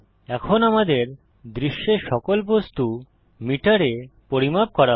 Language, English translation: Bengali, Now all objects in our scene will be measured in metres